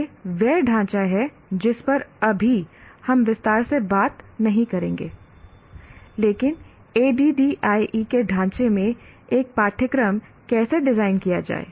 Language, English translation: Hindi, We will not be elaborating in this, but how to design a course in the framework of ADD